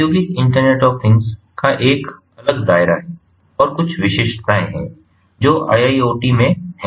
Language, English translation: Hindi, so industrial internet of things has a different scope and there are some specificities that are there in iiot